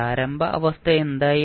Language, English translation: Malayalam, What was the initial condition